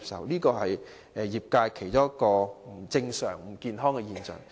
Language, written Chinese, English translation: Cantonese, 這是業界其中一個不正常、不健康的現象。, This is one of the abnormal and unhealthy phenomena of the trade